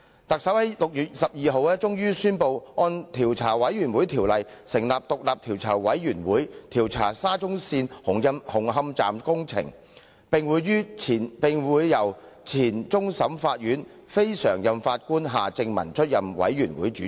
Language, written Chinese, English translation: Cantonese, 特首在6月12日終於宣布根據《調查委員會條例》成立獨立調查委員會，負責調查沙田至中環線紅磡站工程，由前終審法院非常任法官夏正民出任委員會主席。, The Chief Executive finally announced on 12 June that a Commission of Inquiry led by Mr Michael John HARTMANN former non - permanent Judge of the Court of Final Appeal would be formed under the Commissions of Inquiry Ordinance to inquire into the construction works of Hung Hom Station of the Shatin to Central Link SCL